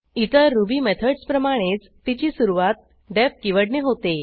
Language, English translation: Marathi, Like other Ruby methods, it is preceded by the def keyword